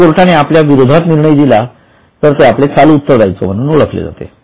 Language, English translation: Marathi, If court gives decision against us, it becomes a contingent, it becomes our regular current liability